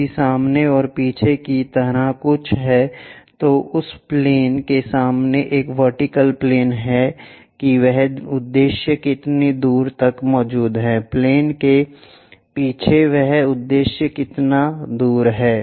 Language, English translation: Hindi, If something like in front and behind, there is a vertical plane in front of that plane how far that objective is present, behind the plane how far that objective is present